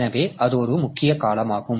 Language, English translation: Tamil, So, that is one of the major time